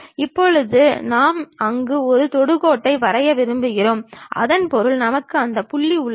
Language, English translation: Tamil, Now, we are going to draw a tangent there so that means, we have that point